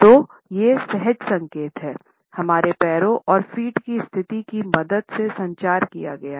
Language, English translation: Hindi, So, these instinctive signals are communicated with a help of our legs and the positioning of the feet